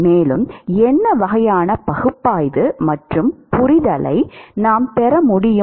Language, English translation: Tamil, And, what kind of analysis and understanding we can get